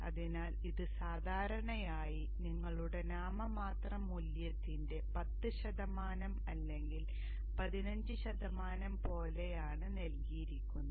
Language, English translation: Malayalam, So this is generally given like 10% or 15% of your nominal value